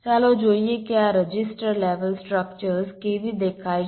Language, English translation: Gujarati, let see how this register level to structures look like